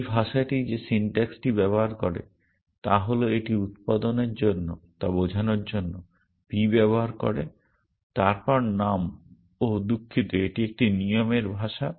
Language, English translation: Bengali, The syntax that this language uses is that it uses p to stand for production then name oh so sorry that is the language of a rule